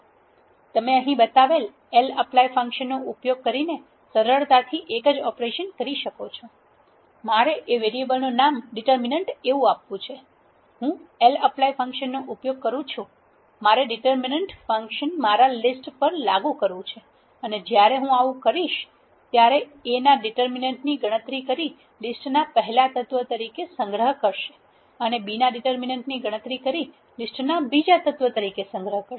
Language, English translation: Gujarati, You can do easily the same operation using the lapply function which is shown here, I want to name that variable has determinant I use a function lapply, I want to apply the determinant function on my list when I do that it will calculate the determinant of A and then store it in the element 1 and calculate the determinant of B and store it in the element 2 of a list